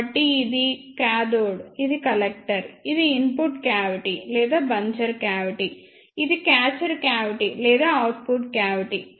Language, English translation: Telugu, So, this is a cathode, this is the collector, ah this is the input cavity or buncher cavity, this is the catcher cavity or output cavity